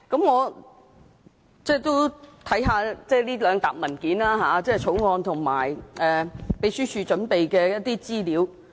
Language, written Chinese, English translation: Cantonese, 我也看過這些文件，包括《條例草案》和秘書處準備的一些資料。, I have read some papers including the Bill and information prepared by the Secretariat